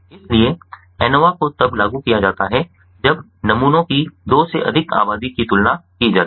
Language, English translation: Hindi, so anova is best applied when more than two populations of samples are meant to be compared